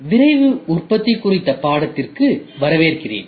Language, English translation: Tamil, Welcome, to the course on Rapid Manufacturing